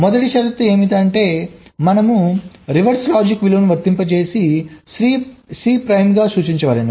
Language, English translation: Telugu, the first condition says: here we need to apply ah, reverse logic value, i denoted as c prime